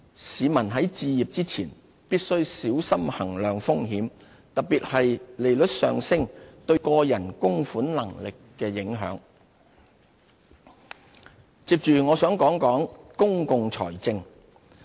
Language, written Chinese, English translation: Cantonese, 市民在置業前，必須小心衡量風險，特別是利率上升對個人供款能力的影響。理財新哲學接着我想談談公共財政。, Before making a home purchase decision the public should carefully assess the risks involved especially the impact of interest rate hikes on their ability to repay